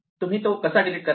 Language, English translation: Marathi, Now, how would we delete it